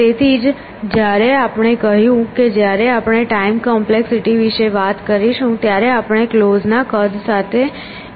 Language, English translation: Gujarati, So, that is why when we said that when we talk about time complexity we will appropriate with the size of closed